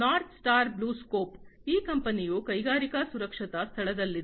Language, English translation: Kannada, North Star BlueScope, this company is into the industrial safety space